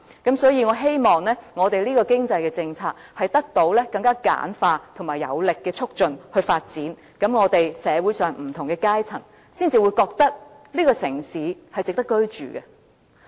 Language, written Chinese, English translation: Cantonese, 因此，我希望這項經濟政策是以更簡化的程序和有力度的推動來發展，這樣，社會上的不同階層才會認為這個城市是值得居住的。, I therefore hope that this particular economic policy can be promoted and developed under simpler procedures and with vigour . It is only in this way that different social strata can come to think that this is a livable city